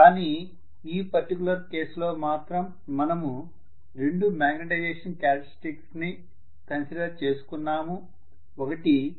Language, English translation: Telugu, Where as in this particular case we have considered two magnetization characteristics